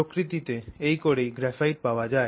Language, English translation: Bengali, What we get in nature is graphite